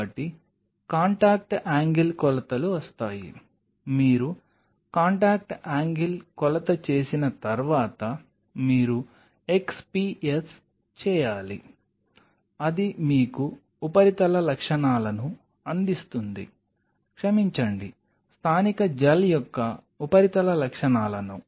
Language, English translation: Telugu, So, then comes contact angle measurements, followed by once you do a contact angle measurement you should do an XPS that will give you the surface characteristics sorry the surface characteristics of the native gel